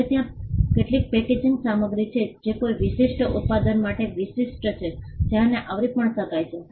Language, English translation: Gujarati, Now there are some packaging materials there are unique to a particular product that can also be covered